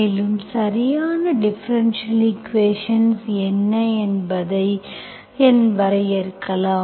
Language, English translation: Tamil, So let me define 1st what is exact equation, exact differential equation